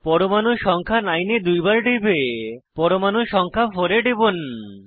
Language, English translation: Bengali, Double click on atom number 9, and then click on atom 4